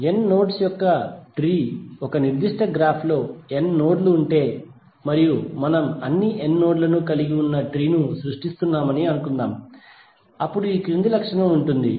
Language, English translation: Telugu, Tree of n nodes, suppose if there are n nodes in a particular graph and we are creating tree containing all the n nodes then it will have the following property